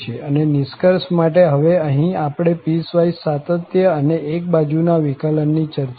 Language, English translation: Gujarati, And just to conclude, now here, we have discussed that piecewise continuity and existence of one sided derivatives